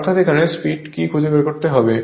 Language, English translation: Bengali, So, we have to find out this speed right